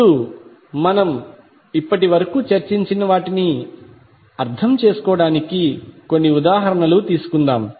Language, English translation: Telugu, Now, let us take a couple of examples to understand what we have discussed till now